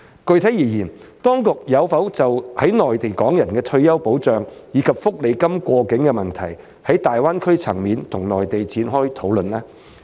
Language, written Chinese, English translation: Cantonese, 具體而言，當局有否就在內地港人的退休保障，以及福利金過境的問題，在大灣區層面與內地展開討論呢？, To be specific have discussions with the Mainland authorities at the level of the Greater Bay Area begun on the issues of retirement protection for Hong Kong people in the Mainland and cross - boundary portability of their welfare benefits?